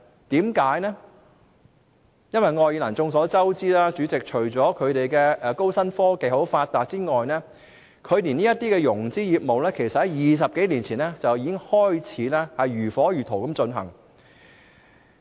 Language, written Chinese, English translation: Cantonese, 代理主席，眾所周知，愛爾蘭除了高新科技很發達外，這些融資業務其實在20多年前已經如火如荼地進行。, Deputy President Ireland not only has well - developed new or high - technology it is also known for these financing businesses which have been actively taken forward since 20 - odd years ago